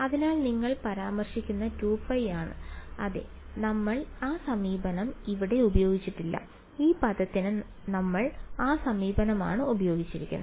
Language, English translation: Malayalam, So, that is the 2 pi that you are referring to yeah we did not use that approach over here, we used that approach for this term b ok